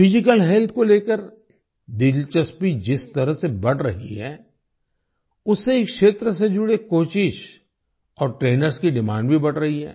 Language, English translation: Hindi, The way interest in physical health is increasing, the demand for coaches and trainers related to this field is also rising